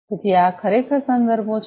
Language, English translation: Gujarati, So, these are the references finally